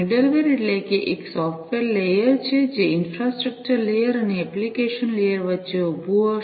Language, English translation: Gujarati, Middleware means it is a software layer, which will be standing between the infrastructure layer and the application layer